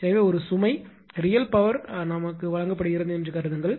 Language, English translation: Tamil, So, in that case assume that a load is supplied with a real power P